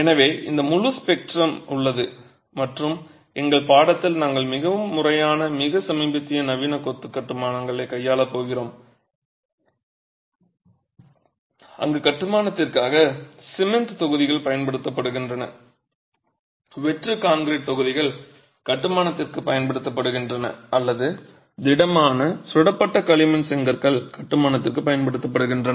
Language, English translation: Tamil, So, this entire spectrum exists and you will see that in our course we are going to be dealing with the more formal, the more recent modern masonry constructions where either cement blocks are used for construction, hollow concrete blocks are used for construction or solid fire clay bricks are used for construction